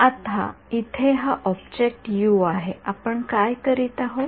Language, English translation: Marathi, Now this object over here U over here, what are we doing